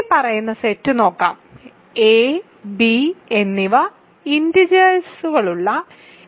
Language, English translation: Malayalam, So, let us look at the following set: a plus ib, where a and b are integers